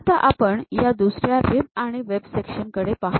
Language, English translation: Marathi, Now, let us look at another rib and web section